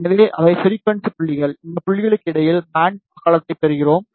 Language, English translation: Tamil, So, these are the frequency points, and we are getting the band width between these points